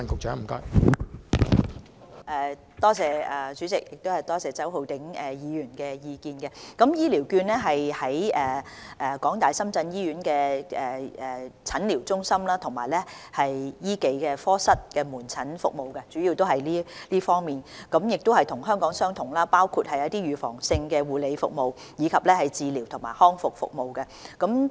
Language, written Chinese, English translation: Cantonese, 在港大深圳醫院使用的醫療券，主要是用於診療中心及醫技科室的門診服務，這與香港的情況相同，所使用的服務包括預防性的護理、治療及康復服務。, In HKU - SZH HCVs were mainly used for outpatient services in the Outpatient Medical Centres and Medical Service Departments . This is similar to the situation in Hong Kong . The services used include preventive care curative and rehabilitative services